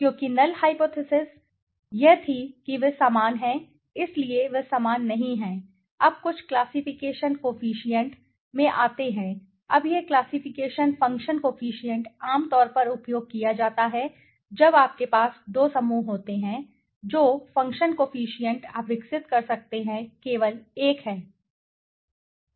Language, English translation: Hindi, Because the null hypothesis was that they are the same so they are not same now okay now something come into the classification coefficient right now this classification function coefficient is generally used for you know you remember when you have a two groups the number of function coefficients you can develop is only one